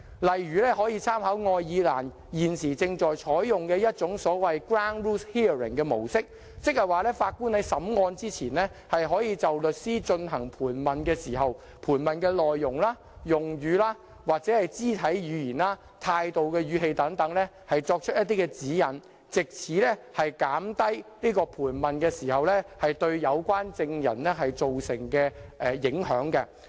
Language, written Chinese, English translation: Cantonese, 例如可參考愛爾蘭現正採用的所謂 ground rules hearing 的模式，即是說法官在審訊之前，可就律師進行盤問時的盤問內容、用語、肢體語言、態度和語氣等提出一些指引，藉此減低盤問對有關證人造成的影響。, For example reference can be made to the approach of the so - called ground rules hearing currently adopted by Ireland whereby the Judge may prior to the hearing provide guidance on the contents choice of words body language attitude tone etc used by lawyers when conducting cross examination in order to reduce the impact of such cross examination on the relevant witness